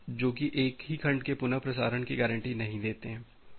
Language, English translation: Hindi, So, retransmission that do not guarantee that the retransmission of the same segment